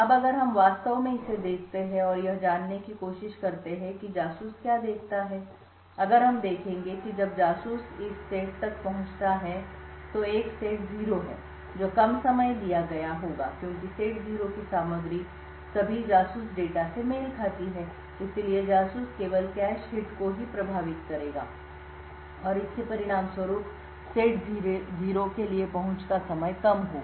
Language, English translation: Hindi, Now if we actually look at this and try to infer what the spy sees, if we would see that when the spy accesses this set that is a set 0 the time taken would be less because the contents of set 0 corresponds to all spy data and therefore the spy would only incur cache hits and as a result the access time for set 0 would be low